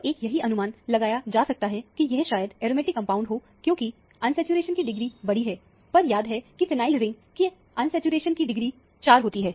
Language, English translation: Hindi, So, one can assume that, this might be an aromatic compound, because a large degree of unsaturation; because remember that, phenyl ring has a degree of unsaturation of 4